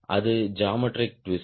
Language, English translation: Tamil, right, that is geometric twist